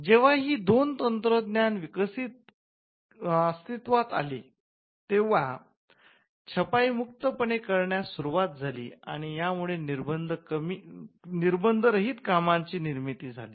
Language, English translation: Marathi, Now when these two technologies came into being printing began to be practiced very freely and it lead to creation of works which without any control